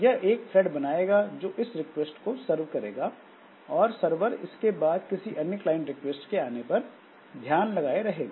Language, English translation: Hindi, So, it will create a thread that will serve this request and this server will continue listening to some additional client request